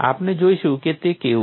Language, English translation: Gujarati, We will see how it is